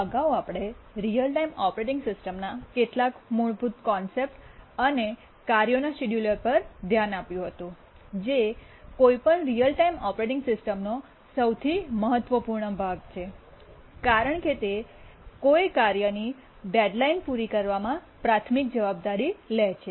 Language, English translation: Gujarati, So, so far we had looked at some basic concepts in real time operating systems and then we had said that the scheduler, task scheduler is actually the most important part of any real time operating system because it is the one which takes the primary responsibility in meeting a task's deadline